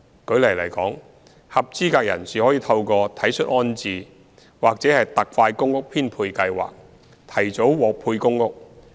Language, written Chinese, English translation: Cantonese, 舉例來說，合資格人士可透過"體恤安置"或"特快公屋編配計劃"提早獲配公屋。, For example eligible persons may apply for early allocation of PRH units through Compassionate Rehousing or Express Flat Allocation Scheme